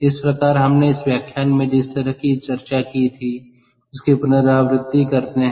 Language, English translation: Hindi, ok, so let us kind of recap what we discussed in this lecture